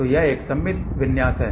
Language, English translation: Hindi, So, this is a symmetrical configuration